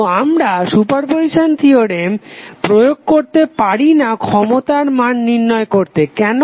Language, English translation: Bengali, So you cannot apply super position theorem to find out the value of power why